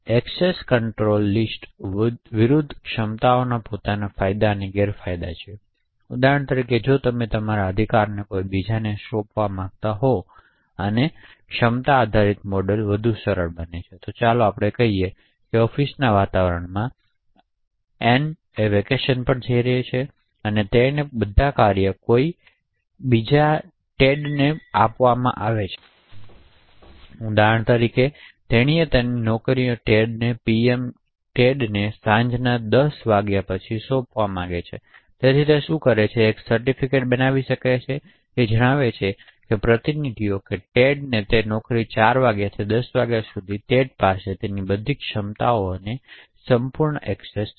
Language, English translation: Gujarati, Capabilities versus access control list have their own advantages and disadvantages, for example if you want to delegate your rights to somebody else and a capability based model is much more easy, so let us say for example in an office environment and is going on vacation and she wants to delegate all her tasks to somebody else call Ted for some time, for example she wants to delegate all her jobs to Ted from 4 PM to 10 PM, so what she does is that she can create a certificate stating that the delegates on her jobs to Ted, the refer from 4 PM to 10 PM Ted has complete access for all of her capabilities